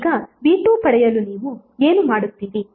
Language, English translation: Kannada, Now to obtain V2 what you will do